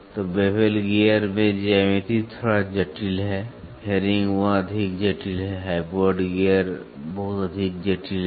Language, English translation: Hindi, So, in bevel gear the geometry slightly complex, herringbone much more complex, hypoid gears much more complex